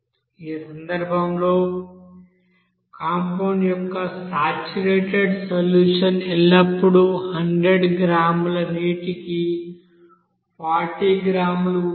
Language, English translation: Telugu, Now in this case the saturated solution of compound always contains 40 gram per 100 gram of water